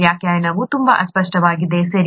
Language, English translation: Kannada, Definition is very vague, okay